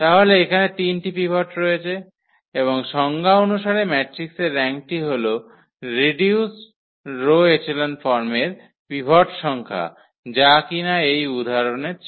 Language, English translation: Bengali, So, there are 3 pivots and the rank as per the definition that rank of the matrix is nothing but it is a number of pivots in reduced row echelon form which is 3 in this example